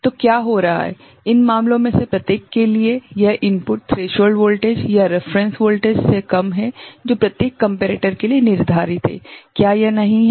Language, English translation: Hindi, So, what is happening, for each of these cases this input is less than the threshold voltage or the reference voltage that is set for each of the comparator, is not it